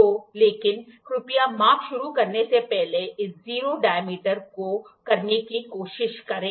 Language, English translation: Hindi, So, but please try to do this 0 dialing before start measurement